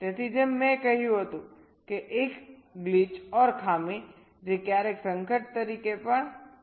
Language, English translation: Gujarati, so, as i had said, a glitch, which sometimes is also known as hazard